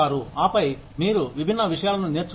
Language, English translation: Telugu, And then, you learn different things